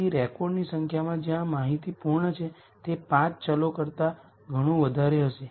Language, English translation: Gujarati, So, the number of records where information is complete is going to be lot more than the 5 variables